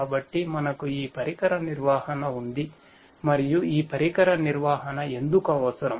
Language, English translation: Telugu, So, we have this device management and why this device management is required